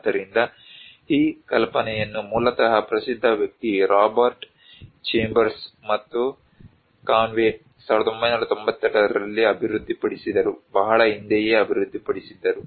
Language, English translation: Kannada, So, this idea came originally developed by famous person Robert Chambers and Conway in 1992, quite long back